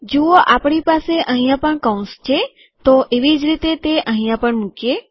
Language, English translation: Gujarati, See that we have the braces here similarly lets put it here also